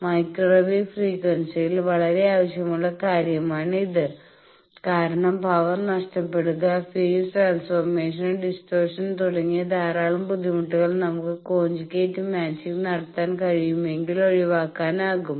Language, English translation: Malayalam, So, that is why the conjugate match is a very desired thing at microwave frequency because lot of difficulties that power lost, distortion in phase transformation etcetera can be avoided if we can do conjugate matching